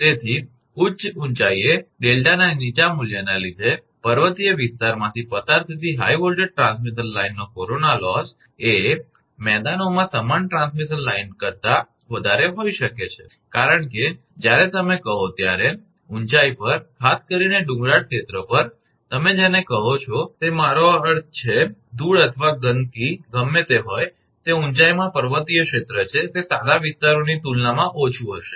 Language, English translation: Gujarati, So, corona loss of a high voltage transmission line passing through a hilly area may be higher than that of similar transmission line in plains due to the lower value of delta at high altitudes, that because when you are you know at higher altitude, particularly hilly area, your what you call that your I mean dust or dirt whatever it is, it is hill area in altitude it will be less as compared to the plain areas